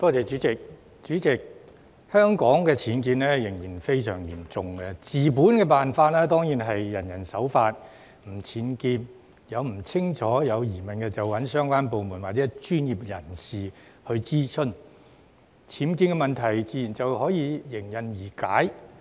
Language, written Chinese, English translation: Cantonese, 主席，香港的僭建問題仍然非常嚴重，治本方法當然是人人守法，不作僭建，以及在有疑問時諮詢相關部門或專業人士，這樣僭建問題自然迎刃而解。, President the problem of unauthorized building works UBWs remains daunting in Hong Kong . Of course the best way to solve this problem at root is that everyone abides by the law and does not erect UBWs and consults the relevant government departments or professionals in case of doubts . In that case the problem of UBWs will naturally be solved